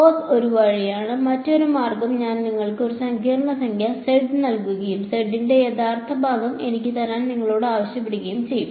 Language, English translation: Malayalam, Cos is one way, another way would be supposing I give you a complex number z and I asked you give me a real part of z